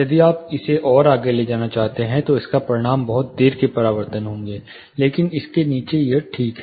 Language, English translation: Hindi, If you are going to take it further, it would result in lot of later reflection, but below this it is ok